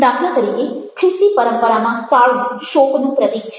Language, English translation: Gujarati, for instance, in christian traditions, black ah symbolizes mourning